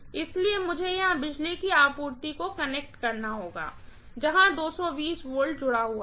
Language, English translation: Hindi, So, I have to have the power supply connected here, that is where 220 volts is connected